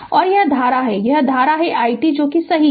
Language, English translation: Hindi, And this is the current i t this is the current i t right